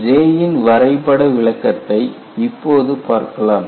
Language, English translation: Tamil, And we also saw a graphical interpretation of J